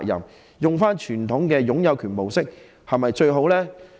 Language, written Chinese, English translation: Cantonese, 使用傳統的擁有權模式是否最好呢？, Is the adoption of the conventional ownership approach the best option?